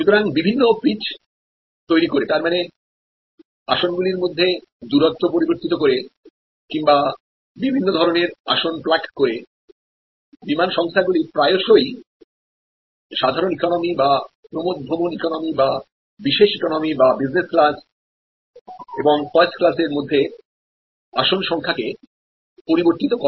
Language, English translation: Bengali, So, by creating different pitches; that means, the distance between seats and by plugging in different kinds of seats, airlines often vary the capacity distribution among economic loss or excursion economy, prime economy business and first